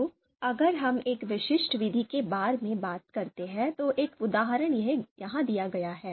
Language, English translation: Hindi, So if we talk about a specific methods, so one example is given here